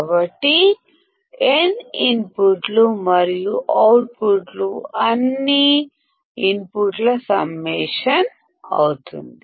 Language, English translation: Telugu, So, n inputs and the output will be summation of all the inputs